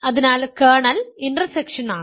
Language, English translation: Malayalam, So, the kernel is intersection